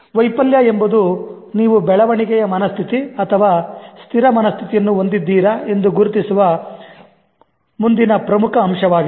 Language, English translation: Kannada, Failure is the next important aspect of identifying whether you have a growth mindset or a fixed mindset